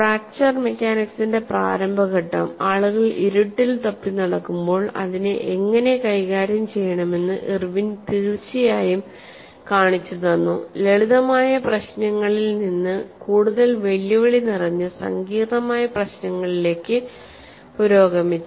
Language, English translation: Malayalam, The initial stage of fracture mechanics, where people were grouping in the dark, Irwin definitely showed the way how to handle graduate from simpler problems to more challenging complex problems